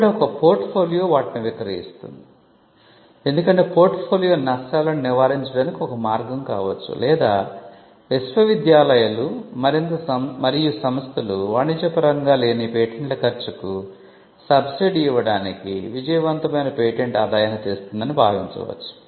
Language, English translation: Telugu, So, a portfolio is selling them as a portfolio could be one way to hedge the risks or universities and institutions may take a call that a successful patent would bring in revenue to subsidize the cost of the patents that are not commercialized